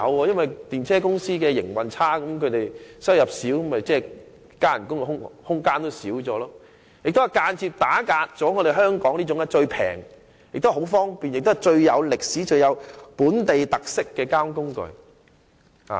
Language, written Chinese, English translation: Cantonese, 因為電車公司的營運狀況如有欠理想，收入不多，其員工的增薪空間也隨之收窄，而這也間接打壓了香港這種最廉宜、最方便、最有歷史、最具本地特色的交通工具。, This is because if the operating condition of the Hong Kong Tramways Limited is unsatisfactory and not much revenue is generated the room for salary increase of its employees will be narrowed accordingly which will also indirectly suppress the Hong Kongs cheapest and most convenient transport mode with the longest history and most local characteristics